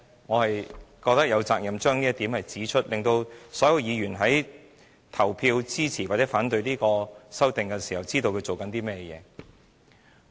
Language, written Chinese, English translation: Cantonese, 我覺得我有責任指出這一點，讓所有議員在投票支持或反對這項修訂時，知道正在做甚麼。, I think I have the responsibility to point this out and let all Members know what they are doing when voting for or against this amendment